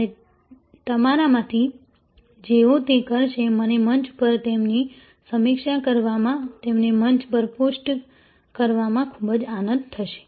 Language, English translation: Gujarati, And those of you will be doing it, I will be very happy to review them on the Forum, post them on the Forum